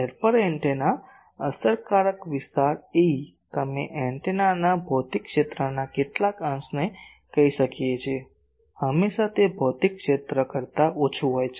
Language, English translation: Gujarati, Aperture antenna, the effective area A e, we can say some fraction of the physical area of the antenna, always it is less than the physical area